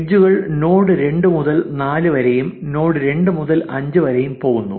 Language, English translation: Malayalam, In this example, there is an edge from node 1 to node 2 and 3